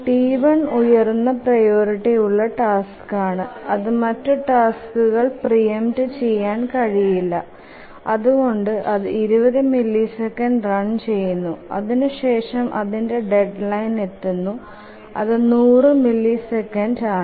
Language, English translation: Malayalam, T1 is the highest priority task and it will not be preempted by any other task and therefore it will run for 20 and it will meet its deadline because the deadline is 100